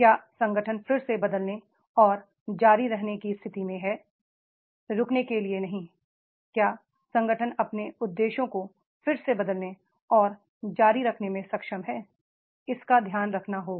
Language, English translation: Hindi, Is the organization in a position to reframe and continue, not to stop, is able to reframe and continue their objectives that that has to be taken care of